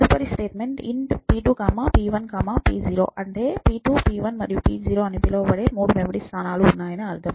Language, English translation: Telugu, And the next line was int p2, p1, p0, which means there are going to be three memory locations which are going to be called p2, p1, p0